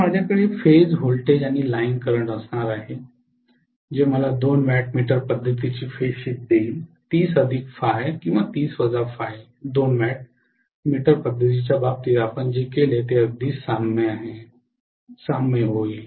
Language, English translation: Marathi, So I am going to have phase voltage and line current which will give me a phase shift of 30 plus phi or 30 minus phi like 2 watt meter method, what we did in the case of 2 watt meter method, it will become very similar to that